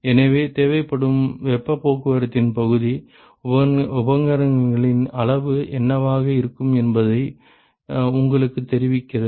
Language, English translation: Tamil, So, the area of heat transport which is required tells you what is going to be the size of the equipment